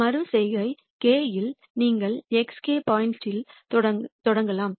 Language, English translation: Tamil, At iteration k you start at a point x k